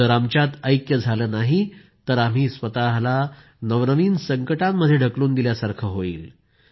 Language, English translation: Marathi, If we don't have unity amongst ourselves, we will get entangled in ever new calamities"